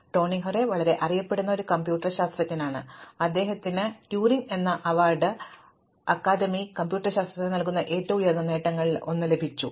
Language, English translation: Malayalam, And Tony Hoare is a very well known computer scientist and he has in fact won The Turing Award which is one of the highest achievements awarded for academic computer scientist